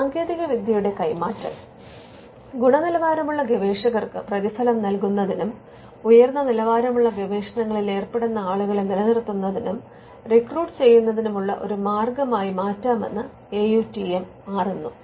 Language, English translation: Malayalam, Transfer of technology the AUTM tells us can itself become a way to reward quality researchers and to also retain and recruit people who engage in high quality research